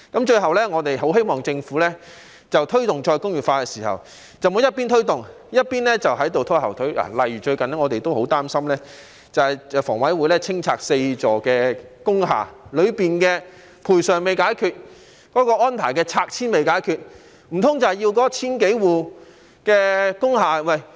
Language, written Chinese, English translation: Cantonese, 最後，我們很希望政府在推動再工業化的時候，不要一邊推動，一邊拖後腿，例如最近我們也十分擔心，房委會將清拆4座工廈，當中的賠償和拆遷安排尚未解決，難道要那千多戶工廈的......, Lastly we very much hope that the Government will not drag its feet in promoting re - industrialization . A recent example is that the Housing Authority is going to demolish four industrial buildings but the compensation and relocation arrangements have not been settled yet for which we are quite worried